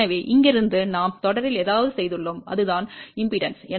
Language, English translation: Tamil, So, from here we are added something in series and that was impedance